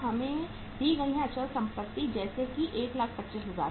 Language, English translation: Hindi, Fixed asset given to us are here like say 125,000